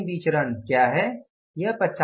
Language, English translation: Hindi, So, what is the final variance